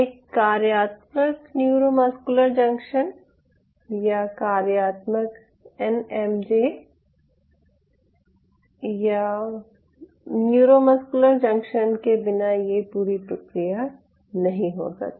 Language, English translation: Hindi, without a functional neuromuscular junction, or functional nmj or neuromuscular junction, this whole process cannot occur